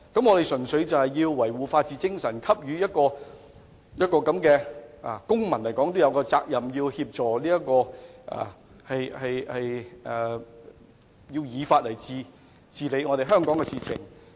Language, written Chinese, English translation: Cantonese, 我們應該從維護法治精神和履行公民責任的角度提供協助，亦希望依法處理香港的事務。, While we should render help from the perspectives of upholding the spirit of rule of law and fulfilling civic responsibility we also hope that the affairs of Hong Kong will be handled in accordance with the law